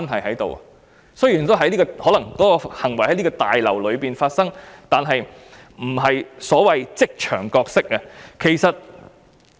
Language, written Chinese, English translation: Cantonese, 儘管有關行為可能是在立法會大樓內發生，但卻不是所謂的職場角色。, Although the relevant act may take place within the Legislative Council Complex the people concerned do not have a role to play in the so - called workplace